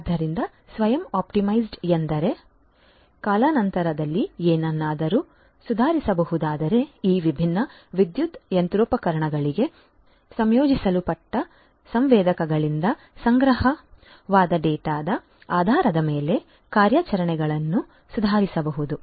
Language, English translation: Kannada, So, self optimized means like you know if something can be improved over time the operations could be improved based on the data that are collected, the data that are collected from the sensors that are integrate integrated to these different power machinery